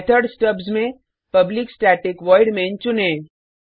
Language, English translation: Hindi, In the method stubs select public static void main